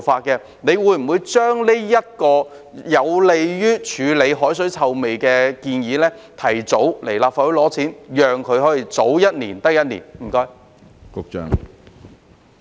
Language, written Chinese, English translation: Cantonese, 局長會否就着這項有利於處理海水臭味的建議，提早向立法會申請撥款，讓它可以盡早實行呢？, Will the Secretary seek funding approval from the Legislative Council earlier for this proposal which is conducive to tackling the seawater odour so that it can be implemented as soon as possible?